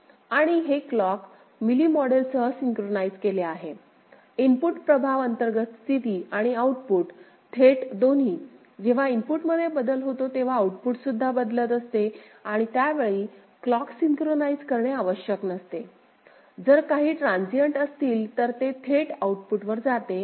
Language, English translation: Marathi, And it is synchronized with the clock, Mealy model input effects both the internal state and output directly; output changes whenever there is a change in the input which is not necessarily synchronized with the clock; if some transients are there it will get go to the output directly ok